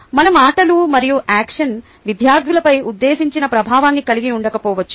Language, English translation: Telugu, on reflection, our words and actions may not have the intended effect on students